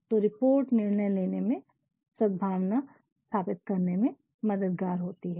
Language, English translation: Hindi, So, reports help in decision making and it also establishes harmony